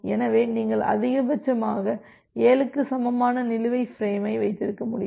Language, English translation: Tamil, So, you can have maximum number of outstanding frame equal to 7